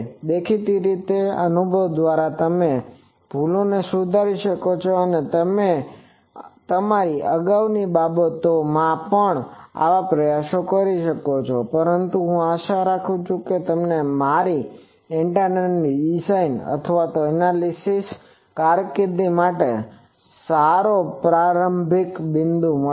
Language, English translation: Gujarati, The obviously, with experience you will rectify those mistakes that you commit in your earlier things, but this will I hope will give you a good starting point for your antenna design or analysis career